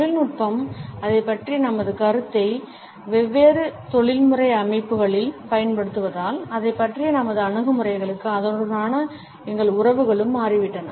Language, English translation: Tamil, As the technology changed our perception about it is use in different professional settings, our attitudes towards it and our relationships with it also changed